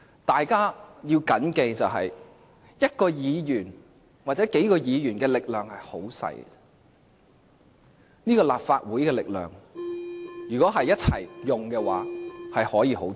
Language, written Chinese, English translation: Cantonese, 大家要緊記，一位議員或數位議員的力量很小，但立法會全體議員的力量可以很大。, We should bear in mind that the powers of a Member or a few Members are insignificant but the powers of all Members of the Legislative Council can be very great